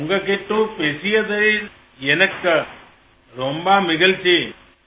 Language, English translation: Tamil, I felt very happy talking to you